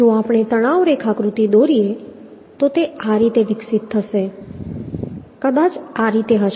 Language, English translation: Gujarati, If we draw the stress diagram, this will develop in this way, may be this way